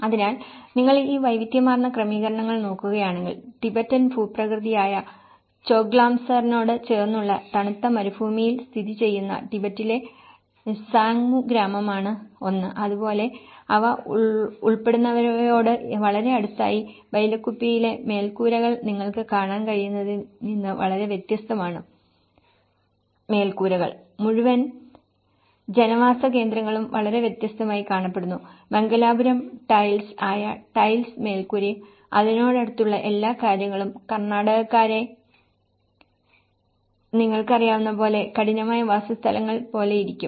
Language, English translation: Malayalam, So, if you look at these diverse settings; one is Sangmu village which is in Tibet which is in the cold desert area which is close to the Tibetan landscape Choglamsar as well that very much close to what they belong to and in Bylakuppe which is very much different from what you can see the kind of roofs, the kind of whole settlement looks very different, you know the tiled roofs which is a Mangalore tiles and everything which is close to what Karnataka people you know, the hard dwellings look like